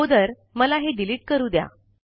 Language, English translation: Marathi, Let me first delete this